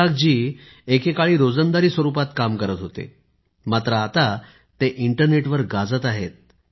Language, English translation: Marathi, Isaak ji once used to work as a daily wager but now he has become an internet sensation